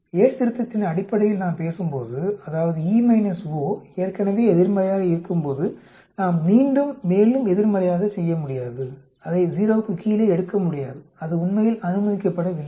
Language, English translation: Tamil, When we are talking in terms of Yate's correction that means, when expected minus observed is already negative we cannot again do more negative and take it out below 0, that is not permitted actually